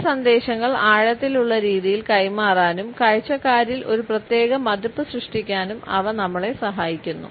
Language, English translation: Malayalam, They help us to pass on certain messages in a profound manner and create a particular impression on the viewer